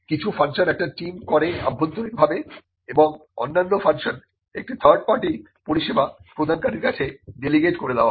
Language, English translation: Bengali, Some functions are done by the team, there internally other functions are delegated to a third party service provider